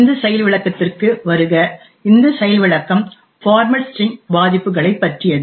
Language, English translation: Tamil, Hello and welcome to this demonstration, this demonstration is also about format string vulnerabilities